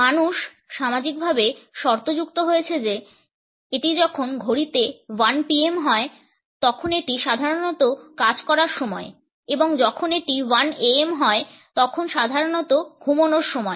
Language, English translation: Bengali, People have been socially conditioned to think that when it is1 PM it is normally the time to work and when it is 1 AM it is normally the time to sleep